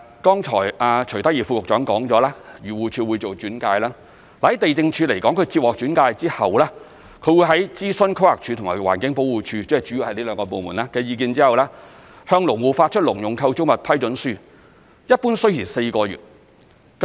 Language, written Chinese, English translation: Cantonese, 剛才徐德義副局長說過，漁農自然護理署會做轉介而地政總署接獲轉介後，會在諮詢規劃署及環境保護署——主要是這兩個部門——的意見後，向農戶發出農用構築物批准書，一般需時4個月。, As Under Secretary for Food and Health Dr CHUI Tak - yi mentioned just now the Agriculture Fisheries and Conservation Department is responsible for case referral while the Lands Department will consult two departments mainly the Planning Department and the Environmental Protection Department upon referral and will then issue a Letter of Approval for Agricultural Structures to farmers . This process normally takes four months